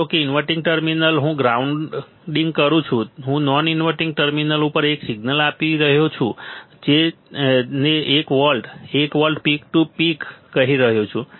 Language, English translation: Gujarati, Suppose inverting terminal I am grounding, non inverting terminal I am applying a signal which is that say 1 volt, 1 volt peak to peak, 1 volt peak to peak ok